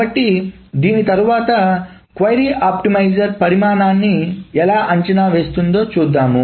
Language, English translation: Telugu, So after this, let us see how does the query optimizer estimates the size